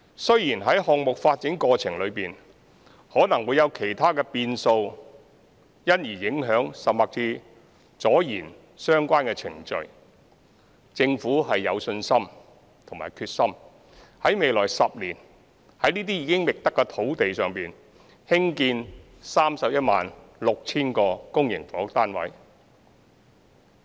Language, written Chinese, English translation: Cantonese, 雖然在項目發展過程中可能會有其他變數，因而影響甚或拖延相關程序，政府有信心及決心在未來10年於這些已覓得的土地上興建 316,000 個公營房屋單位。, Although there may be other variables in the process of project development which can affect or cause delays to the relevant procedures the Government has the confidence and determination to build 316 000 public housing units on these identified sites in the next decade